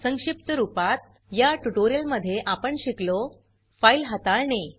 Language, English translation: Marathi, In this tutorial we learnt, File handling